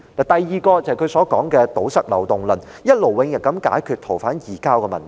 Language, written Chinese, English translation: Cantonese, 第二點，就是他提出的堵塞漏洞論，希望一勞永逸地解決逃犯移交的問題。, The second reason is his notion of plugging loopholes with a view to solving the issue of surrendering fugitive offenders once and for all